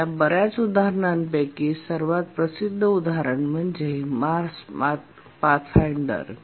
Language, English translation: Marathi, Out of these many examples, possibly the most celebrated example is the Mars Pathfinder